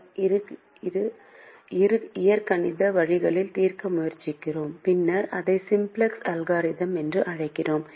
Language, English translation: Tamil, so these three issues we try to address in an algebraic way and later we extend that to what is called the simplex algorithm